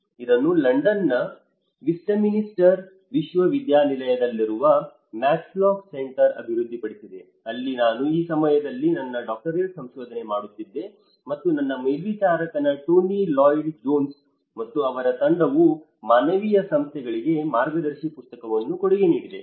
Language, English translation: Kannada, It was developed by the Max Lock Center in University of Westminster, London where I was doing my doctoral research at that time and my supervisor Tony Lloyd Jones and his team they have contributed a guidebook for the humanitarian agencies